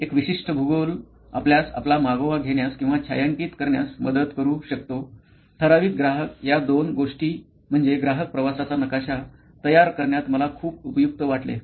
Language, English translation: Marathi, A geography very specific geography can also help you with tracking down or shadowing your typical customer, these two are something that I found to be very useful in constructing a customer journey map